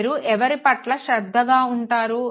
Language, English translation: Telugu, Whom do you pay attention to